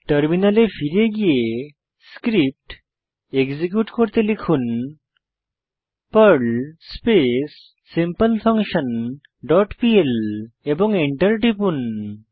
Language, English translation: Bengali, Then switch to the terminal and execute the Perl script by typing perl simpleFunction dot pl and press Enter